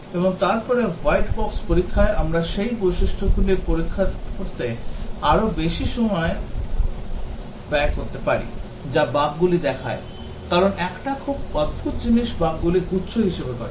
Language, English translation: Bengali, And then in white box testing, we might spend more time testing those features which were showing bugs, because one very peculiar thing bugs is that they occur in clusters